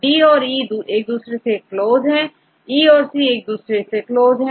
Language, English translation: Hindi, So, D and E are close to each other